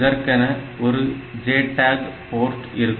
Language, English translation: Tamil, So, there is a JTAG port